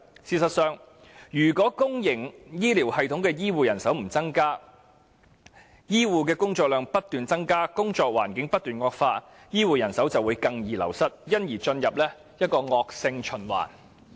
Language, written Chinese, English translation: Cantonese, 事實上，如不增加公營醫療系統的醫護人手，醫護工作量卻不斷增加，工作環境不斷惡化，醫護人手只會更易流失，因而陷入一個惡性循環。, In fact if there is no increase in health care manpower of the public health care system but a surge in their workload and deteriorating working conditions there will only be an increase in the wastage of health care personnel thus creating a vicious cycle